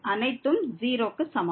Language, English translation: Tamil, So, this everything goes to 0